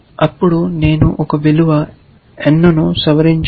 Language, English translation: Telugu, Then I do the following, modify one value n